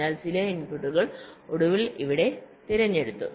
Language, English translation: Malayalam, so some inputs are finally selected here